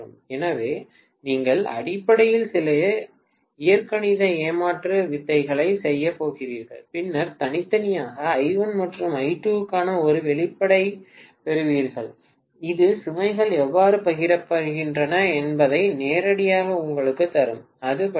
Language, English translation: Tamil, So, you are essentially going to do some algebraic jugglery and then get an expression for I1 separately and I2 separately, that will give you directly how the loads are shared, that is about it